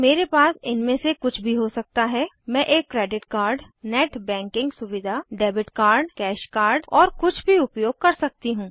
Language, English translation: Hindi, I can have any of this parts , I can have a credit card, i can use the net banking facilities, I can use debit card ,cash card and so on